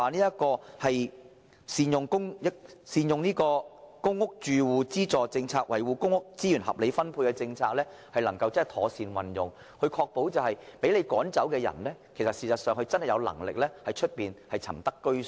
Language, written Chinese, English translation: Cantonese, 如何善用公屋住戶資助政策，以維護公屋資源合理分配和妥善運用，確保被政府驅趕的租戶確實有能力在外間另覓居所？, How can the authorities make good use of the housing subsidy policy to safeguard the rational allocation and proper utilization of PRH while ensuring that tenants driven out by the Government can really afford alternative accommodation?